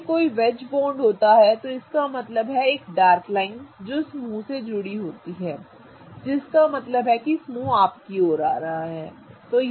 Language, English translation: Hindi, Whenever there is a wedge that means a dark line that is attached to the group, that means that the group is coming towards you, right